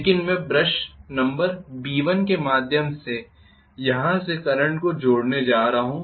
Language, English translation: Hindi, But I am going to connect the current from here through brush number B1 B1